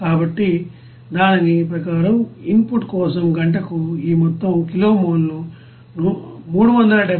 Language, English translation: Telugu, So according to that we can get this total kilo mole per hour for the input is 374